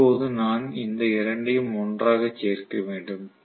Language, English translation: Tamil, Now I have to add these two together